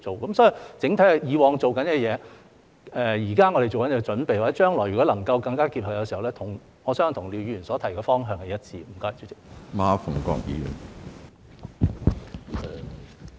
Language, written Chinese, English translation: Cantonese, 所以，整體而言，我們以往做的工作、現正做的準備，以及將來如果能夠做到更加結合的話，我相信跟廖議員所提的方向是一致的。, Therefore on the whole I believe the work we have done in the past the preparations we are making and the possible greater integration in the future are in line with the direction mentioned by Mr LIAO